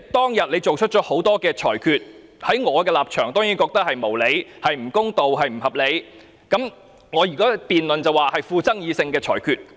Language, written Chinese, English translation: Cantonese, 當天，主席作出了多項裁決，在我的立場，這些裁決當然是無理、不公、不合理，在辯論中，我會說這些是富爭議性的裁決。, On that day the President made a number of rulings which in my point of view are certainly groundless unfair and unreasonable . Insofar as the debate is concerned I would say that these were controversial rulings